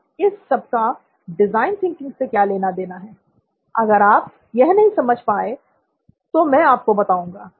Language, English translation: Hindi, Now, what has this got to do with design thinking, if you have not figured it out, I will lay it out for you